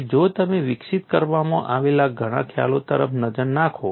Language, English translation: Gujarati, And if you look at many concepts have been developed